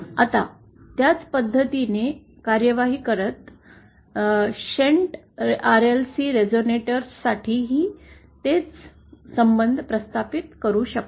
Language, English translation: Marathi, Now, proceeding similarly, we can also derive the same relations for shunt RLC resonators